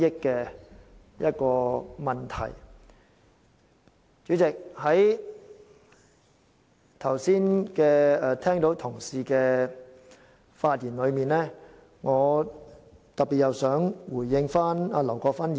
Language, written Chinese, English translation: Cantonese, 代理主席，在剛才發言的同事之中，我特別想回應劉國勳議員。, Deputy President among the Honourable colleagues who have just spoken I wish to respond to Mr LAU Kwok - fan in particular